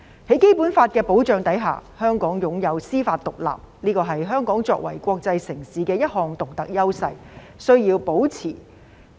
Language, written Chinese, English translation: Cantonese, 在《基本法》的保障下，香港擁有司法獨立，這是香港作為國際城市的一項獨特優勢，需要保持。, Under the protection of the Basic Law Hong Kong enjoys judicial independence which is a unique advantage of Hong Kong as an international metropolis that needs to be maintained